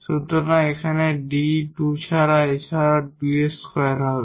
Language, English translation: Bengali, Here we will have D D so that will be D square